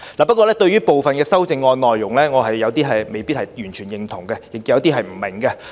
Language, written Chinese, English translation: Cantonese, 不過，對於部分修正案內容，我未必完全認同，亦有些不明白。, Nevertheless I cannot totally agree to some amendment contents and I do not quite understand them either